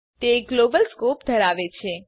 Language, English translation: Gujarati, These have a Global scope